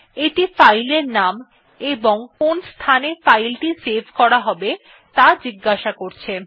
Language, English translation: Bengali, It asks for filename and location in which the file has to be saved